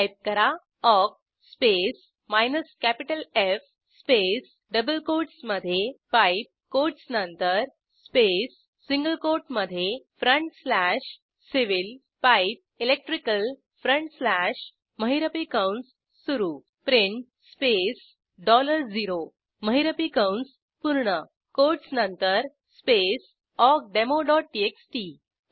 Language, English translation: Marathi, Let us see Type awk space minus capital F space within double quotes PIPE space within single quote front slash civil PIPE electrical front slash within curly braces print space dollar0 space awkdemo.txt Press Enter This print the entire line since we have used $0